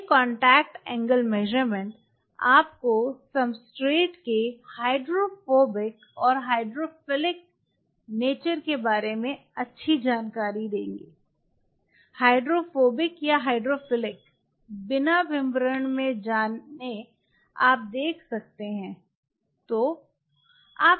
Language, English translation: Hindi, These contact angle measurements will give you a fairly good idea about the hydrophobic and hydrophilic nature of the substrate; hydrophobic or hydrophilic how even without getting into the details you can see if